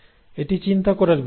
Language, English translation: Bengali, Now that is one thing to ponder